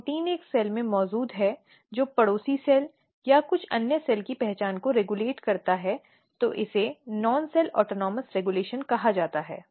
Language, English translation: Hindi, Protein is present in one cell and regulating identity of the neighboring cell or some different cell then it is called non cell autonomous regulation